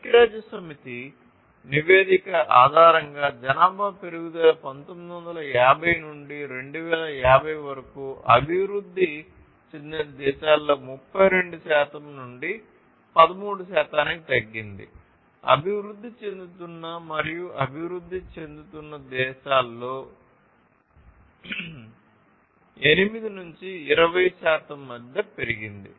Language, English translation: Telugu, So, based on the United Nations report the population growth is from 1950 to 2050, reduced between 32 percent to 13 percent in developed countries and increased between 8 to 20 percent in emerging and developing countries